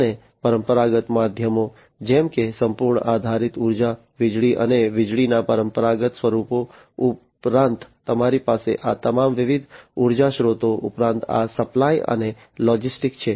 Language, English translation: Gujarati, And traditional means like you know whole based energy, you know electricity, and you know traditional forms of electricity and so on, plus you have all these different energy sources plus these supply and logistics